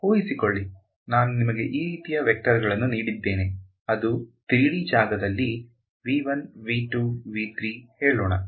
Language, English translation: Kannada, In vector supposing I gave you a bunch of vectors like this let say in 3D space V 1 V 2 V 3 ok